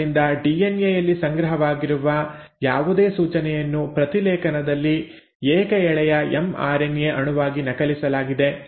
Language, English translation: Kannada, So in transcription, whatever instruction which was stored in the DNA has been copied into a single stranded mRNA molecule